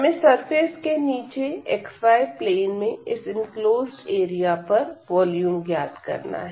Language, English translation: Hindi, So, we want to find the volume below the surface and over this enclosed area in the xy plane